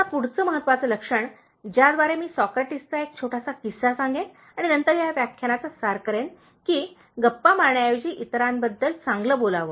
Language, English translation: Marathi, Now, the next important trait, by which I will tell a small anecdote from Socrates and then conclude this lecture is, speaking good about others, instead of gossiping